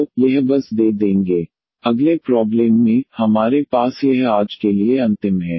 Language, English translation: Hindi, In the next problem, we have this is the last for today